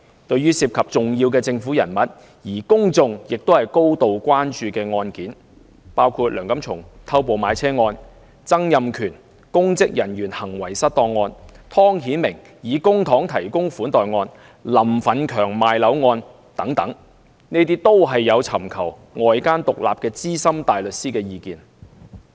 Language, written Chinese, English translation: Cantonese, 對於涉及重要政府人物，而公眾高度關注的案件，包括梁錦松偷步買車案、曾蔭權公職人員行為失當案、湯顯明以公帑提供款待案、林奮強賣樓案等，律政司均有尋求外間獨立的資深大律師意見。, When handling cases which involve important government officials and are a matter of public concern including the Antony LEUNG case of jumping gun in car purchase the Donald TSANG case of misconduct in public office the Timothy TONG case of hosting entertainment activities paid out of public funds the Franklin LAM case of flat sale and so on the Department of Justice DoJ has invariably sought independent advice from outside senior barristers